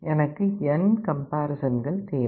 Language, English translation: Tamil, I need n number of steps